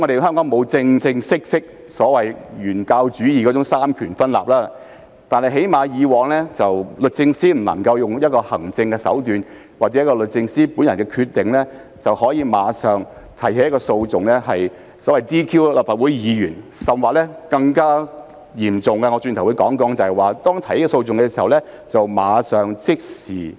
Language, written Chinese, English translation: Cantonese, 香港沒有所謂"原教旨主義"的三權分立，但以往律政司司長最少不能用行政手段或按照律政司司長本人的決定便立即提起訴訟 ，"DQ" 立法會議員，甚至在提起訴訟時，便立即凍結議員的權責，由於已獲政府接受，其薪津亦立即受到影響。, We do not have the so - called fundamentalist separation of powers in Hong Kong but at least in the past SJ could not use administrative means or made hisher own decision to institute proceedings DQ disqualify Legislative Council Members and even immediately froze their powers and responsibilities upon bringing proceedings . With acceptance of the Government the remuneration and allowances of the Member concerned will immediately be affected as well